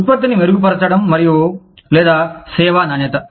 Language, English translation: Telugu, Enhancing product, and or, service quality